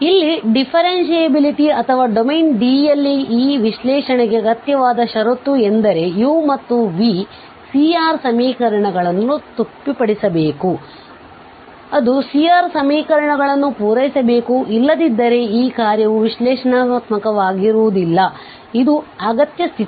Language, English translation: Kannada, So here are the necessary condition for differentiability or for this analyticity in a domain D is that, that u and v must satisfy the C R equations, so they must satisfy the C R equations otherwise this function is not going to be analytic, this is what the necessary condition means